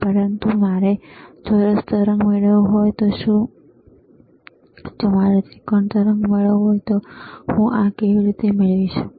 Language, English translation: Gujarati, bBut what if I want to get square wave, what if I want to get triangular wave, how can I get this